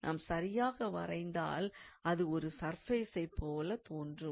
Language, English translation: Tamil, We have to draw it in a proper manner that, so that it looks like a surface